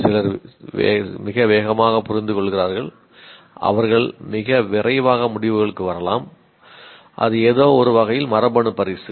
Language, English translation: Tamil, Some people understand very fast, they can come to conclusions very fast, that is in some sense is genetic gift you can say